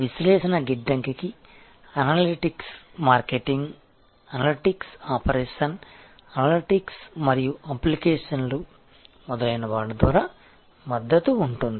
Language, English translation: Telugu, Where the data warehouse will be supported by analytics marketing analytics operational analytics and applications and so on